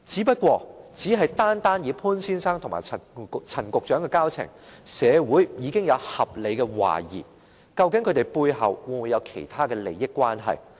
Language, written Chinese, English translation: Cantonese, 不過，單以潘先生和陳局長的交情，社會已可合理懷疑他們背後會否有其他利益關係。, However simply judging from the relations between Mr POON and Secretary Frank CHAN society can reasonably suspect the entanglement of interests on their part